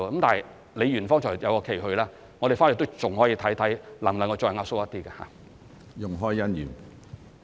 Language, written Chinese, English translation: Cantonese, 但李議員剛才有一個期許，我們回去還可以看看能否再壓縮一點。, However as Ms LEE has just mentioned an expectation we can go back and see if we can compress it further